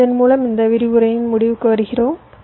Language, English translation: Tamil, so with this ah, we come to the end of this lecture